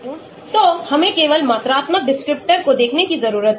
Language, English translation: Hindi, So, we need to look at only quantifiable descriptor